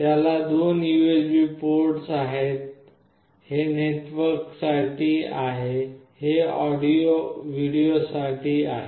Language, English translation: Marathi, It has got two USB ports; this is for the network, these are audio and video